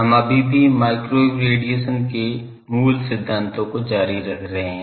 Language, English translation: Hindi, We are still continuing the theme microwave radiation fundamentals